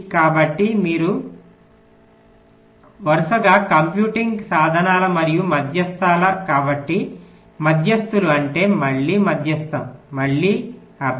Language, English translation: Telugu, so because you are successively computing means and medians, medians than means, again median, again mean